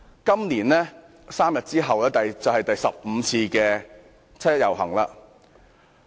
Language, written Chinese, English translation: Cantonese, 今年 ，3 天後便是第十五次的七一遊行。, This year sees the fifteenth 1 July march which will be held three days later